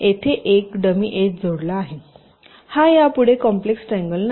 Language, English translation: Marathi, this is called a complex triangle